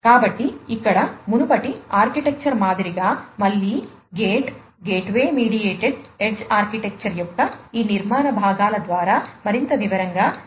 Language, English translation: Telugu, So, like the previous architecture here again let us go through each of these architectural components of the gate gateway mediated edge architecture, in further detail